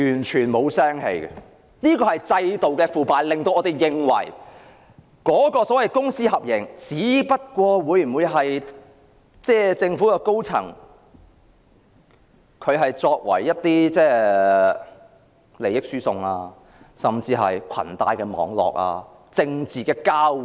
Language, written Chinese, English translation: Cantonese, 這便是制度的腐敗，令我們認為公私合營計劃只是政府高層的利益輸送，甚至裙帶網絡及政治交換。, This is institutional corruption which makes us think that the public - private partnership scheme is only a means of transferring interests among senior government officials and it is even a kind of nepotism and political exchange